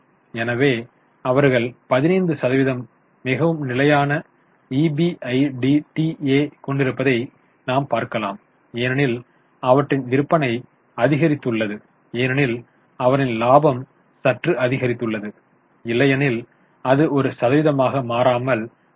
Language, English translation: Tamil, So, you can see they have a very stable EBITA around 15% because their sales have increased, their profits have increased a bit bit but otherwise as a percentage it remains constant